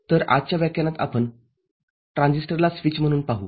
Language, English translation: Marathi, So, in today’s lecture we shall cover Transistor as a switch